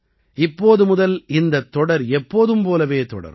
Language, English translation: Tamil, Now this series will continue once again as earlier